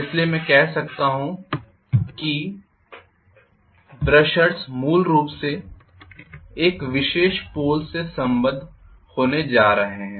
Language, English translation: Hindi, So all I can say is brushers are basically going to be affiliated to a particular pole